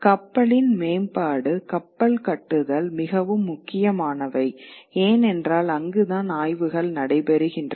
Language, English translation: Tamil, The improvement of the ship, the ship building becomes very, very important because that's where the explorations are taking place